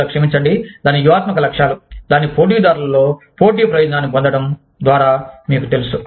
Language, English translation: Telugu, Or, sorry, its strategic objectives, by becoming, you know, by gaining competitive advantage in, among its competitors